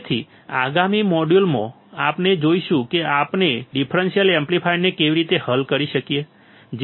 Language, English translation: Gujarati, So, in the next module, we will see how we can solve the differential amplifier